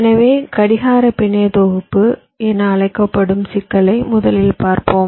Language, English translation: Tamil, today we shall be considering first the problem of the so called clock network synthesis